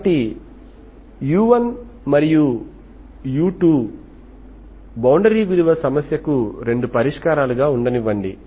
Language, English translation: Telugu, So let u1, u2 be 2 solutions, 2 solutions of boundary value problem